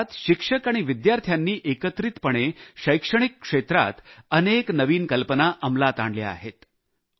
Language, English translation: Marathi, Meanwhile teachers and students have come together with myriad innovations in the field of education